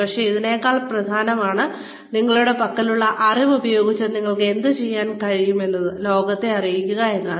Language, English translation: Malayalam, But, even more important than that is, being able to, let the world know, what you can do, with the knowledge, you have